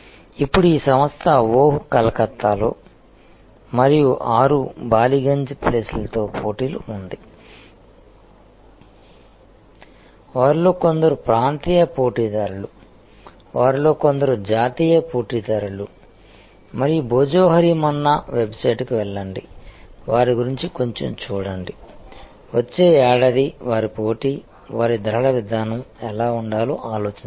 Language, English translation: Telugu, Now, this organization is in competition with 6 Ballygunge place in competition with oh Calcutta, some of them are regional players, some of them are the national players and think about go to the website Bhojohori Manna, read a little bit about them, read about their competition